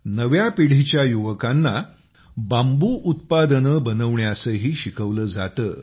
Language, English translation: Marathi, The youth of the new generation are also taught to make bamboo products